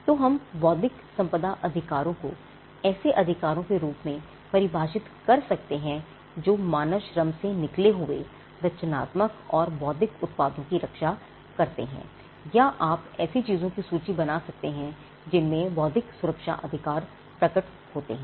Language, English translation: Hindi, So, we could come up with the definition of intellectual property right either as rights which belong to a particular nature which protects creative and intellectual products that come out of human labour or you could have a list of things on which an intellectual property right may manifest